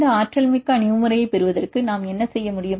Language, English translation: Tamil, For getting this energetic approach, what can we do